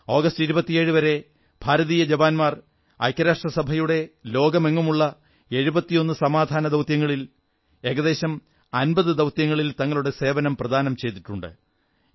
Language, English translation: Malayalam, Till August 2017, Indian soldiers had lent their services in about 50 of the total of 71 Peacekeeping operations undertaken by the UN the world over